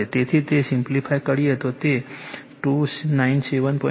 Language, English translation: Gujarati, So, it will be , simplify it will be 297